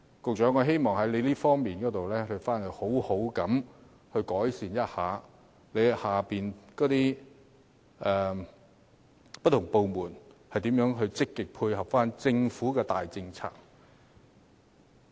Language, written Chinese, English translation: Cantonese, 局長，我希望你能在這方面好好改善，看看轄下不同部門如何可以積極配合政府的大政策。, Secretary I hope you can do a much better job in this regard and examine how various departments under your purview may work closely in line with the Governments general policies